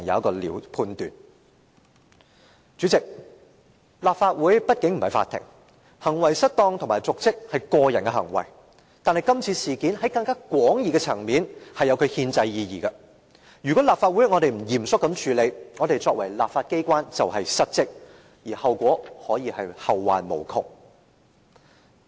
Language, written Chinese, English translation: Cantonese, 代理主席，立法會畢竟不是法庭，行為失當和瀆職是個人的行為，但今次事件，在更廣義的層面，實有其憲制意義，如果立法會不嚴謹地處理，其作為立法機關便是失職，並可以是後患無窮。, Deputy President the Legislative Council is after all not a court and misconduct and dereliction of duty is a personal behaviour . Concerning this incident from a broader perspective it has a constitutional implication . If the Legislative Council does not handle the matter conscientiously and carefully the legislature is in dereliction of duty and endless troubles will arise in the future